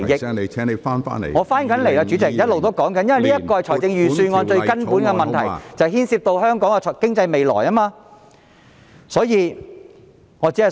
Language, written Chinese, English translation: Cantonese, 主席，我已返回辯論，我一直在說明這是預算案最根本的問題，並牽涉到香港的未來經濟。, President I have returned to the debate . I have been talking about the most fundamental issue in the Budget which is related to the future of our economy